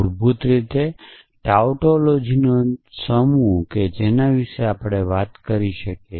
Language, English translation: Gujarati, So, basically the set of tautologies that we can talk about